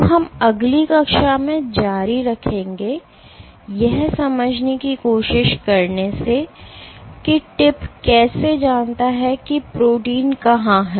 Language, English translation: Hindi, So, we will continue in next class, from trying to understand how does the tip know where the protein is